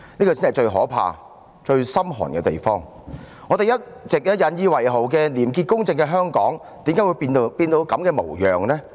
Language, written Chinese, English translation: Cantonese, 為何我們一直引以為傲的廉潔公正的香港，今天竟會變成這種模樣？, Why Hong Kong a city used to take pride in its high level of integrity and fairness has reduced to its current state?